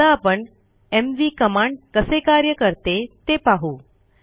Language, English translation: Marathi, Now let us see how the mv command works